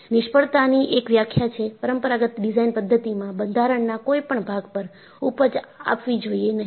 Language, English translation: Gujarati, One definition of failure, in conventional design methodology, was yielding should not take place at any portion of the structure